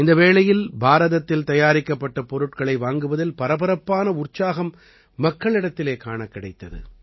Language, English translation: Tamil, And during this period, tremendous enthusiasm was seen among the people in buying products Made in India